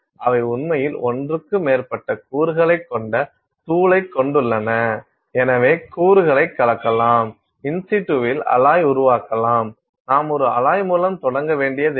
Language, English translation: Tamil, They actually have powder which is now having more than one component so, you can mix components, you can create the alloy in situ; you do not have to start with an alloy